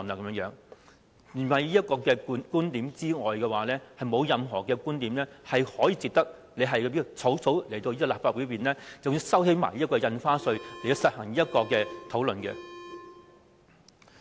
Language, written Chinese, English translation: Cantonese, 除此以外，已沒有任何觀點可以值得政府草草提交方案予立法會，更要擱置印花稅討論，以進行"一地兩檢"方案討論。, Other than this there is nothing which can tempt the Government to shelve the stamp duty discussion and hastily submit this co - location proposal to the Legislative Council for discussion